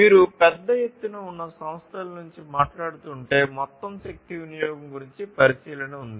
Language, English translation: Telugu, So, you know if you are talking about large scale enterprises there is a consideration of the energy; energy consumption as a whole